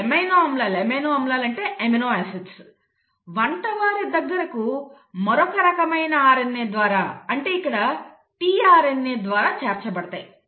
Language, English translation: Telugu, And these amino acids are brought to the chef; they are ferried to the chef by another class of RNA which is called as the tRNA